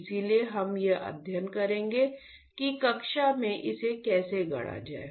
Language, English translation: Hindi, So, we will study how to fabricate this in the class